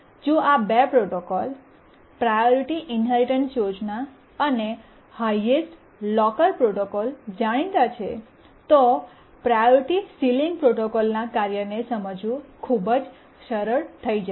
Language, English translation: Gujarati, And if we know the two protocols, the priority inheritance protocol and the highest locker protocol, then it will become very easy to understand the working of the priority sealing protocol